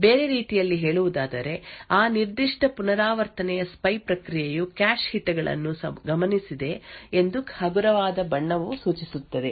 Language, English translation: Kannada, In other words a lighter color would indicate that the spy process in that particular iteration had observed cache hits